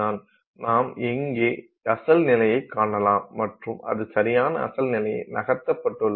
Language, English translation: Tamil, So, you can see here original position and it has moved, right